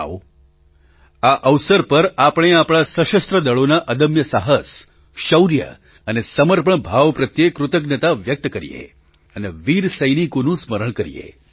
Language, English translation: Gujarati, On this occasion, let us express our gratitude for the indomitable courage, valour and spirit of dedication of our Armed Forces and remember the brave soldiers